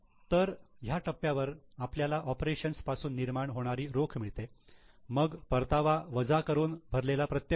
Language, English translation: Marathi, So, we at this stage get cash generation from operations, then payment of direct taxes net of refund